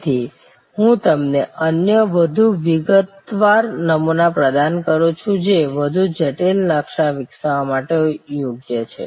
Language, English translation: Gujarati, So, I provide you with another more detail template, which is suitable therefore, for developing a more complex blue print